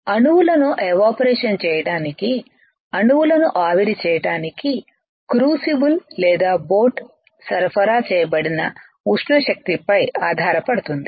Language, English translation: Telugu, It relies on the thermal energy supplied to the crucible or boat to evaporate atoms right, to evaporate atoms what does that mean